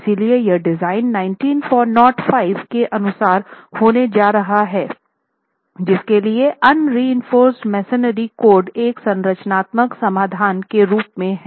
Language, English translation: Hindi, So, here the design is going to be as per 1905 which is the code for unreinforced masonry as a structural solution